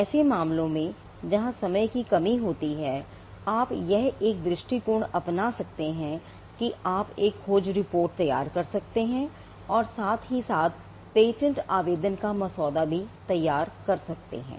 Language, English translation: Hindi, In cases where, there is a constraint of time, one approach you could follow us to prepare a search report and simultaneously also draft the patent application now this could be done simultaneously